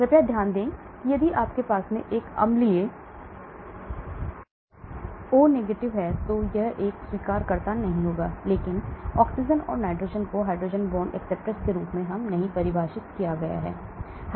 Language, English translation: Hindi, Please note if you have an acidic O , then it will not be an acceptor, but oxygen and nitrogen are defined as hydrogen bond acceptors